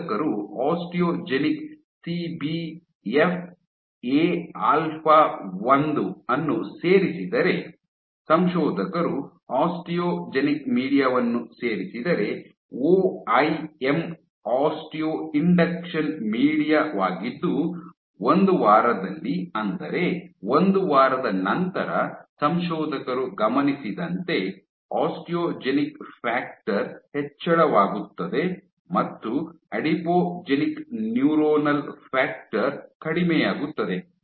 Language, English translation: Kannada, If the authors added osteogenics CBFA alpha 1, if the authors added osteogenic media, so OIM is osteo induction media at 1 week what the authors observed was after 1 week, you have osteogenic factor increasing and adipogenic neuronal factor decreasing